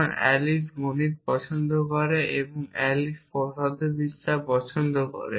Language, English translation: Bengali, So, I say I like math’s and physics a Alice likes music